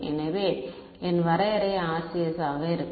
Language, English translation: Tamil, So, my definition of RCS will be